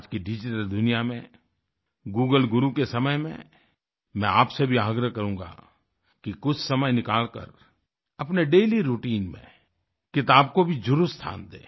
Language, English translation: Hindi, I will still urge you in today's digital world and in the time of Google Guru, to take some time out from your daily routine and devote it to the book